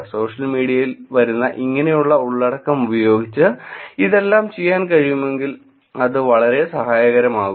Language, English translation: Malayalam, If only all this can be done using the content, using the information that is coming on social media, it could be very helpful